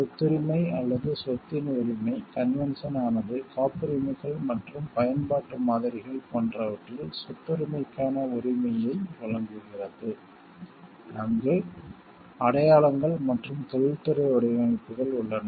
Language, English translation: Tamil, Right to property or right of property; the convention provides for right of property in the case of patents and utility models where they exist marks and industrial designs